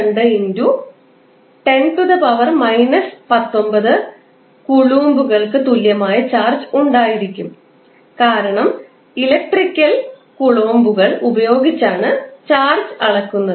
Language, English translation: Malayalam, 602*10^ 19 coulomb because electric charge is measured in the in the parameter called coulomb